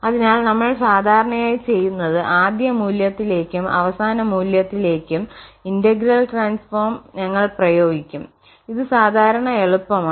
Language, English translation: Malayalam, So, what we do usually we apply the integral transform to the initial value and the boundary value problem which is normally easy